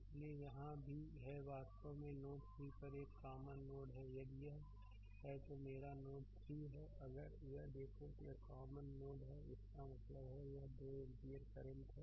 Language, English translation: Hindi, So, here also this is a this is actually is a common node at node 3 if you take this is my node 3 that if you look into that this is also common node; that means, this 2 ampere current is there